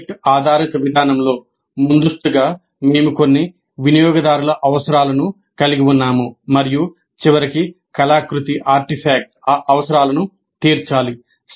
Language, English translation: Telugu, In project based approach, upfront we are having certain user requirements and at the end the artifact must satisfy those requirements